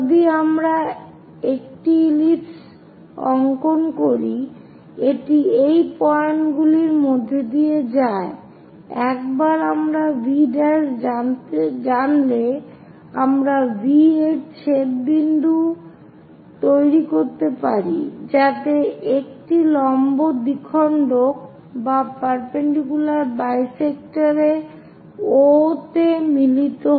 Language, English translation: Bengali, If we are drawing an ellipse, it goes via this points, once we know V prime and V we can make intersection point so that a perpendicular bisector meets at O